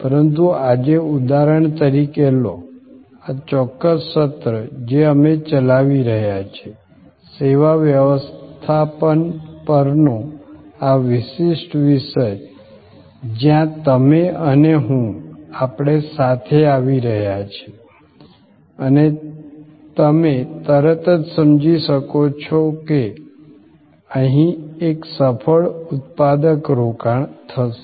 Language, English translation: Gujarati, But, today take for example, this particular session, which we are having, this particular topic on service management, where you and I, we are coming together and you can immediately perceived that here a successful productive engagement will happen